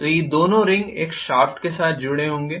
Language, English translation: Hindi, So these two rings will be connected along with a shaft